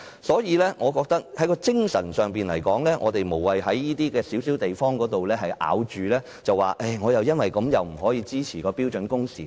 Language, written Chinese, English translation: Cantonese, 所以，我覺得在精神層面來說，我們無謂在這個小問題上執着，因而不支持訂定標準工時。, Hence with regard to the spirit I do not think we should dwell on this minor question and thus refrain from giving our support to the prescription of standard working hours